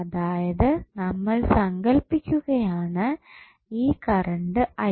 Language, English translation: Malayalam, So, we are saying that suppose this current is I